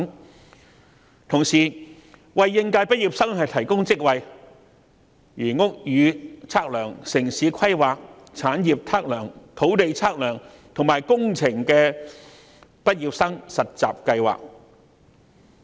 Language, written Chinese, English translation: Cantonese, 與此同時，亦會為應屆畢業生提供職位，例如屋宇測量、城市規劃、產業測量、土地測量，以及工程畢業生實習計劃。, Furthermore there will be positions for fresh graduates such as graduate programmes in building surveying town planning estate surveying land surveying and engineering